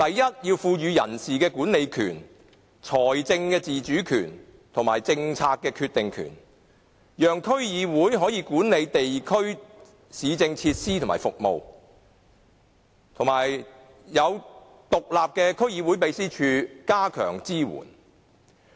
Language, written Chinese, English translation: Cantonese, 首先，要賦予區議會人事管理權、財政自主權及政策決定權，讓區議會可以管理地區市政設施和服務，並設有獨立的區議會秘書處，加強對其支援。, First it is necessary to vest DCs with the powers of staff management financial autonomy and making policy decisions allowing DCs to manage municipal facilities and services in the districts . An independent DC secretariat should also be set up to strengthen the support for them